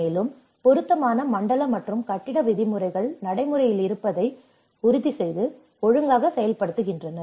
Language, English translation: Tamil, Also, ensuring that appropriate zoning and building regulations are in place and being properly implemented